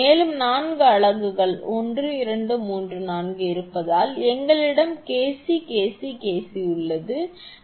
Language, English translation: Tamil, And because four units are there 1, 2, 3, 4, then we have KC KC KC